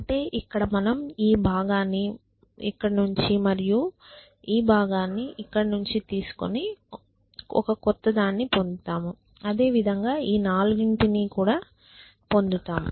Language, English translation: Telugu, So, just to emphasize I take this part and I take this part and I get this this one here and likewise for the other 4 essentially